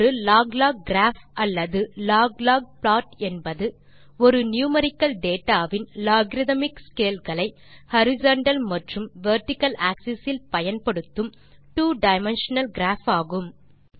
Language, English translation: Tamil, A log log graph or a log log plot is a two dimensional graph of numerical data that uses logarithmic scales on both the horizontal and vertical axes